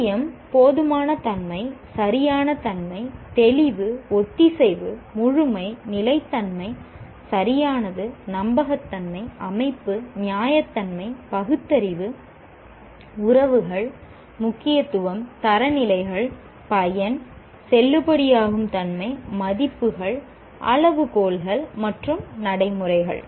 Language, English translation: Tamil, Judge accuracy, adequacy, appropriateness, clarity, cohesiveness, completeness, consistency, correctness, credibility, organization, reasonableness, reasoning, relationships, reliability, significance, standards, usefulness, validity, values, worth, criteria, standards, and procedures